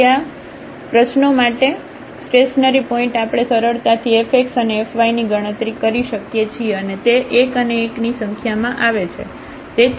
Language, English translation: Gujarati, So, the stationary point for this problem we can easily compute f x and f y and they come to be 1 and 1